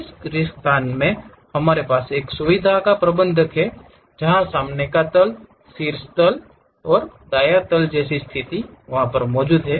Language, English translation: Hindi, In this blank space, we have feature manager where front plane, top plane and right plane is located